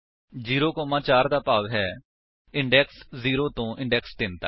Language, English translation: Punjabi, (0, 4) implies from index 0 to 3